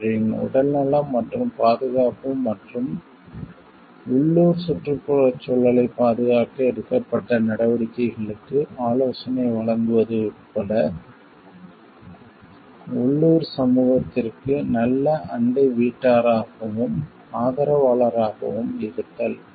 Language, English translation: Tamil, Being a good neighbor to, and supporter of the local community including advising them to measures, taken to protect their health and safety and the local environment